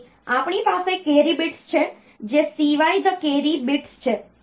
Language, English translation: Gujarati, So, we have got a carry bit which is the CY the carry bit